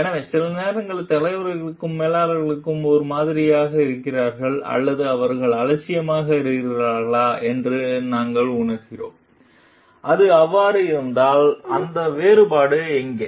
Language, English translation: Tamil, So, whether sometimes we feel like whether leaders and managers are same or is their indifference and if it is so, then where is that difference